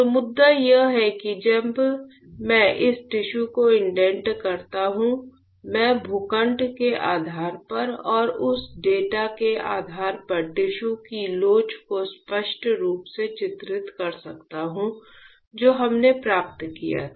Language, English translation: Hindi, So, the point is that when I indent this tissue; I can clearly delineate the elasticity of the tissue based on the plot and based on the data that we obtained ah